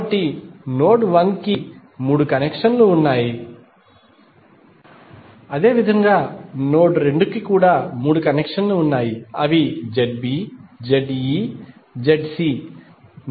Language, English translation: Telugu, So, node 1 has three connections, similarly node 2 also have three connections that is Z B, Z E, Z C